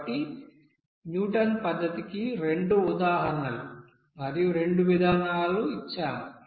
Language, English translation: Telugu, So we have given here two examples and two you know procedure of that Newton's method